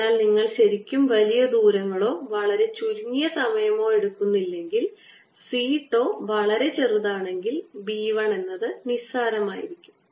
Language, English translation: Malayalam, so unless you are really talking large distances or very short time period, so that c tau is very small, the, the, the b one is going to be almost negligible